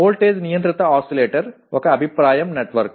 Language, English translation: Telugu, Voltage controlled oscillator is a feedback network